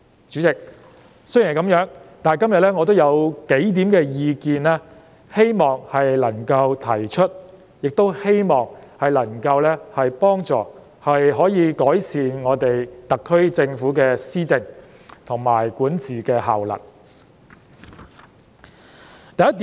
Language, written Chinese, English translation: Cantonese, 主席，雖然如此，但我今天仍希望提出數點意見，亦希望這些意見能夠幫助特區政府改善施政及管治的效能。, President that said I still wish to raise a few points and I hope they can help the SAR Government to improve the effectiveness of its policy implementation and governance